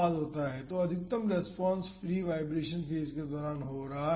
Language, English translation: Hindi, So, the maximum response is happening during the free vibration phase